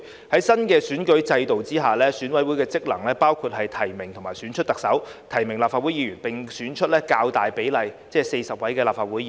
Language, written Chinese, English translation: Cantonese, 在新的選舉制度下，選委會職能包括提名及選出特首、提名立法會議員，並選出較大比例，即40位立法會議員。, Under the new electoral system the functions of EC include nominating candidates for and selecting the Chief Executive nominating candidates for Members of the Legislative Council and electing a relatively large proportion ie . 40 Members of the Legislative Council